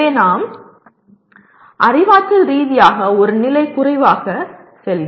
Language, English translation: Tamil, So we go cognitively one level lower